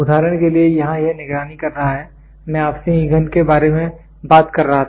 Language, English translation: Hindi, For example here this is monitoring I was talking to you about fuel